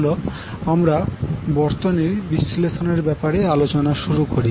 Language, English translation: Bengali, So let us start the discussion of the circuit analysis